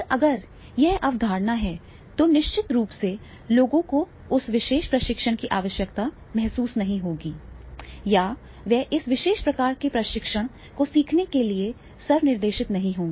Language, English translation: Hindi, And then if this concept is there, then definitely the people will not be having the, they are feeling the need of that particular training or they will not be self directed to learn this particular type of training